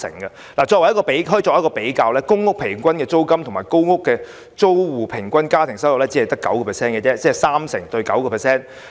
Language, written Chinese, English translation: Cantonese, 相比之下，公屋租金平均只佔租戶家庭收入的 9%， 即三成對 9%。, In comparison the rent for public housing only accounts for 9 % of the household income of tenants on average ie . 30 % versus 9 %